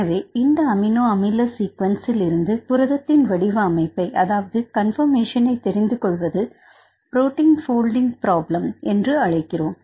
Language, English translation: Tamil, So, deciphering the native conformation of protein from this amino acid sequence rights this is called protein folding problem